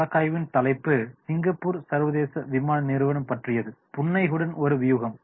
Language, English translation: Tamil, The title of the case is Singapore International Airlines Strategy with a Smile